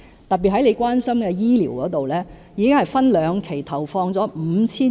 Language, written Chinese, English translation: Cantonese, 特別是范議員關心的醫療方面，已經分兩期投放了 5,000 億元。, Particularly on medical and health care which Mr FAN is concerned about we have invested 500 billion in two phases